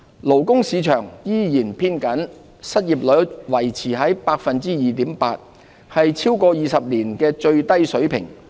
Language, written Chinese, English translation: Cantonese, 勞工市場依然偏緊，失業率維持在 2.8%， 是超過20年的最低水平。, The labour market remained tight with the unemployment rate remaining at 2.8 % the lowest level in more than 20 years